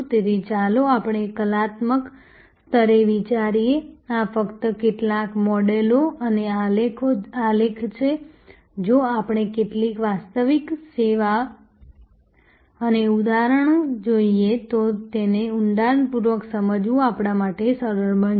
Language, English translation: Gujarati, So, let us I think at a conceptual level, these are just some models and graphs, it will be easier for us to understand it in depth, if we look at some actual service and the examples